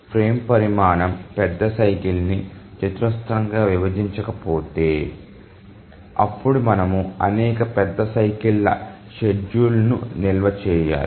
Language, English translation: Telugu, If the frame size does not squarely divide the major cycle, then we have to store the schedule for several major cycles